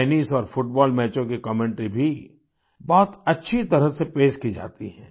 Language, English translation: Hindi, The commentary for tennis and football matches is also very well presented